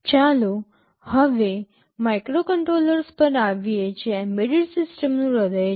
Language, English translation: Gujarati, Now, let us come to microcontrollers that are the heart of embedded systems